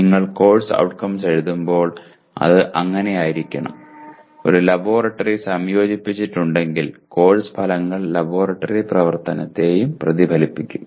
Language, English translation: Malayalam, So you have a wide range of courses and when you write course outcomes it should, if there is a laboratory integrated into that the course outcomes should reflect the laboratory activity as well